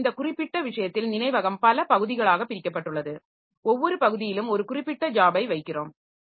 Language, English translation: Tamil, So, in this way, in this particular case, so memory is divided into a number of parts and in each part we are putting one particular job